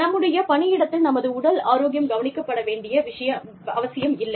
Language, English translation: Tamil, We do not need our workplace, to look after our, physical health